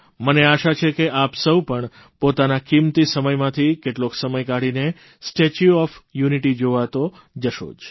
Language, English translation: Gujarati, Of course I hope, that all of you will devote some of your precious time to visit the 'Statue of Unity'